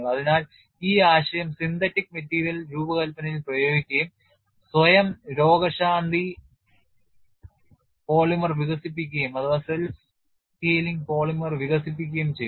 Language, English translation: Malayalam, So, this concept has been applied to synthetic material design and a self healing polymer has been developed